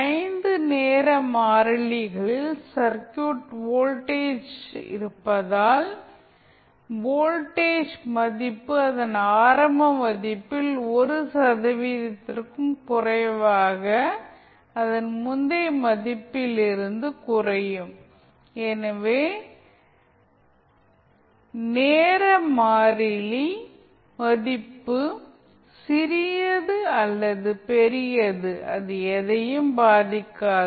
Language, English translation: Tamil, Because in 5 time constants the circuit voltage is there, then voltage value will decrease to less than 1 percent of its initial value so, the value of time constant is small or large will not impact, the steady state time, it will always be 5 times of the time constant